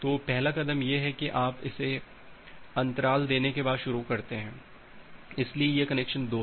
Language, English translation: Hindi, So, the first step is that you start it after giving a gap so this is connection 2